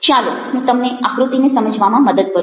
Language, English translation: Gujarati, now let me help you with understanding the figure